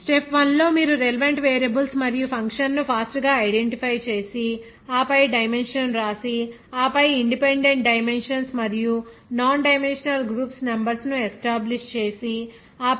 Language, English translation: Telugu, Like step 1 you to fast identify the relevant variables and function and then write down the dimensions and then the establishment of the number of independent dimensions and nondimensional groups and then and then